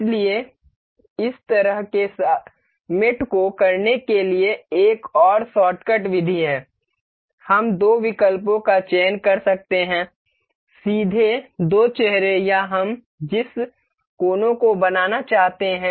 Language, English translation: Hindi, So, there is another shortcut method for doing this kind of mate is we can select directly select the two options the two faces or the vertices that we want to mate